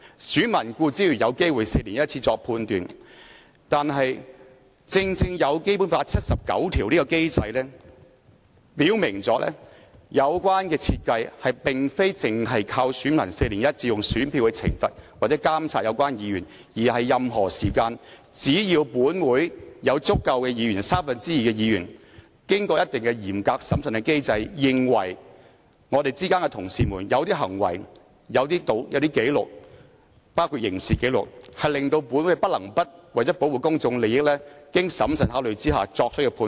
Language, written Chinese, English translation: Cantonese, 選民固然有機會每4年作出判斷，但正正因為有《基本法》第七十九條下的機制，表明有關設計並非單靠選民每4年以選票懲罰或監察有關議員，而是在任何時間只要本會有達三分之二的議員同意，便可透過嚴格審慎的機制處理當中某些同事的某些行為和紀錄，包括刑事紀錄，從而令本會不能不為了保護公眾利益而作出經審慎考慮的判斷。, Voters certainly have the opportunity to make a judgment every four years . But it is precisely because of the mechanism under Article 79 of the Basic Law specifying that the relevant design is to deal with certain acts and records including criminal records of some of our Honourable colleagues through a stringent and prudent mechanism at any time as long as the endorsement of two thirds of Members of this Council has been secured instead of solely relying on the punishment or scrutiny on the relevant Members by voters with their votes every four years that this Council is obliged to make a well - considered judgment for protection of public interest